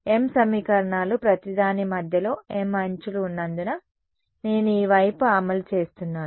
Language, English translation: Telugu, m equations because there are m edges at the center of each I am enforcing this side